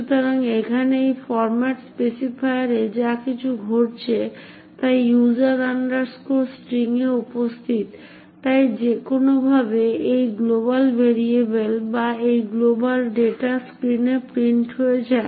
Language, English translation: Bengali, So what is happening over here is that the something fishy going on in this format specifier present in user string so that somehow this global variable or this global data gets printed on the screen